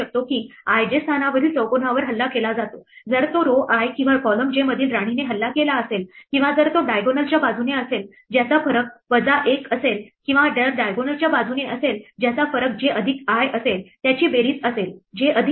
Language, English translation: Marathi, So, we can now conclude that the square at position i j is attacked, if it is attacked by queen in row i or in column j or if it is along the diagonal whose difference is j minus i or if is along the diagonal whose difference is j plus i whose sum is j plus i